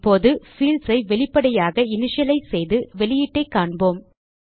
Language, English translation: Tamil, Now, we will initialize the fields explicitly and see the output